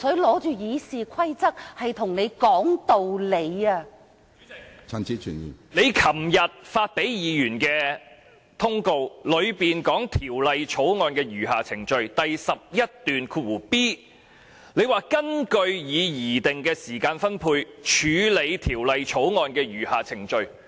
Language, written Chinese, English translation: Cantonese, 主席，你在周二發給議員的函件中提到《條例草案》餘下審議程序的安排，其中第 11b 段提及你將根據已擬定的時間分配，處理《條例草案》的餘下程序。, Chairman in the letter addressed to Members on Tuesday you mentioned the arrangement for the rest of the consideration process of the Bill stating in paragraph 11b that the rest of the proceedings of the Bill would be dealt with in accordance with the proposed allocation of time